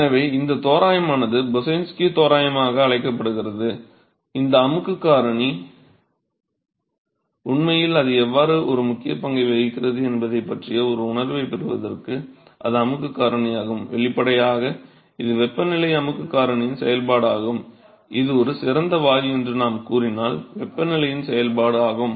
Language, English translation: Tamil, So, this approximation is what is called as Boussinesq approximation, a just to get a feel of what this compressibility factor really how it plays an important role is that the compressibility factor; obviously, it is a function of temperature compressibility factor itself is a function of temperature suppose if we say it is an ideal gas